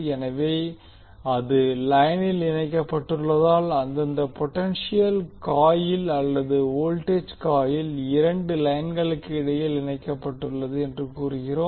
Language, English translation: Tamil, So because it is connected in the line while the respective potential coil or we also say voltage coil is connected between two lines